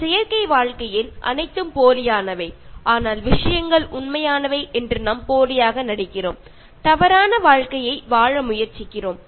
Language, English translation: Tamil, In an artificial life, everything is fake but still we pretend that things are real, and we try to live a false life